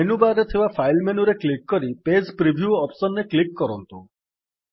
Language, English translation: Odia, Now click on the File menu in the menu bar and then click on the Page preview option